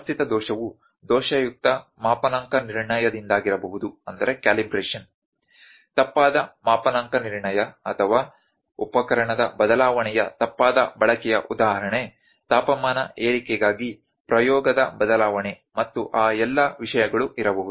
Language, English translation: Kannada, Systematic error might be due to the faulty calibration, the incorrect calibration or incorrect use of instrument change in condition for instance temperature rise may be the change of experiment and all those things